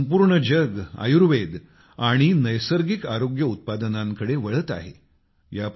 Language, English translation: Marathi, Today the whole world is looking at Ayurveda and Natural Health Products